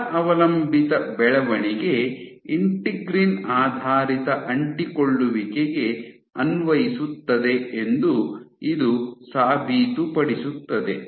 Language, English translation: Kannada, So, this proved that this force dependent growth applies to integrin based adhesions